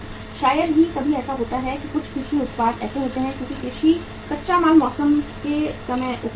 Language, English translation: Hindi, Sometime what happens that some agricultural products are like because agriculture raw material is available at the time of season